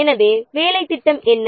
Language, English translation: Tamil, So, what is your work plan